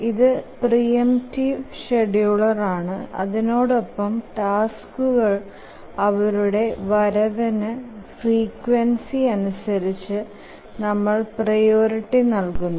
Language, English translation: Malayalam, It's a preemptive scheduler and we need to assign priorities to tasks based on their frequency of occurrence or their period